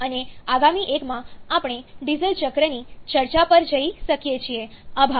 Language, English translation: Gujarati, And in the next one, we can go on the discussion of the diesel cycle, thank you